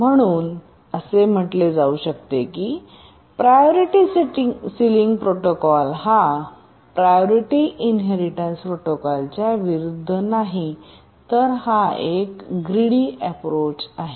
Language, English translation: Marathi, So we can say that Priority Sealing Protocol is not a greedy approach in contrast to the priority inheritance protocol which is a greedy approach